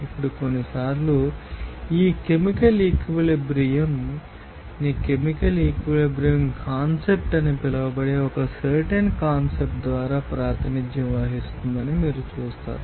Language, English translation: Telugu, Now, you will see that, you know, sometimes that chemical equilibrium will be represented by a certain constant that will be called the chemical equilibrium constant